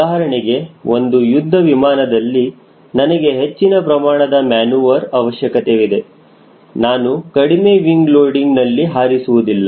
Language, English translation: Kannada, for example, if it is a fighter airplane where i need larger maneuver, i will not fly at a smaller wing loading